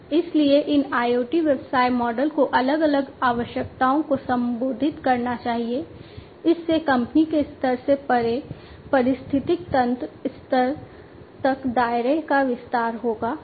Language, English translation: Hindi, So, these IoT business models must address different requirements, this would extend the scope beyond in the company level to the ecosystem level